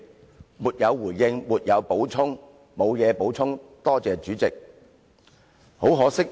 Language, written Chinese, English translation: Cantonese, 他們都說："沒有回應，沒有補充，多謝主席"。, They all said No response and nothing to add . Thank you Chairman